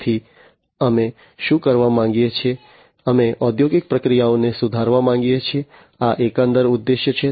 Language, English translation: Gujarati, So, we want to do what, we want to improve industrial processes this is the overall objective